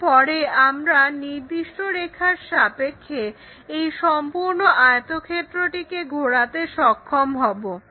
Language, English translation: Bengali, Once that is done we will be in a position to rotate this entire rectangle with respect to a particular line